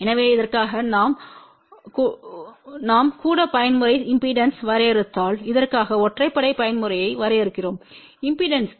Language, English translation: Tamil, So, for this if we define even mode impedance and for this we define odd mode impedance